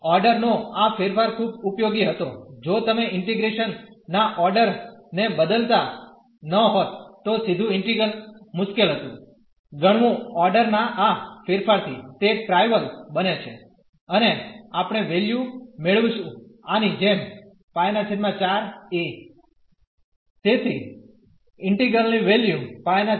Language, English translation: Gujarati, So, this change of order was very useful if you would have not change the order of integration, the direct integral was difficult to compute purchase by changing the order of integration it has become trivial and we got the value as this pi by 4 a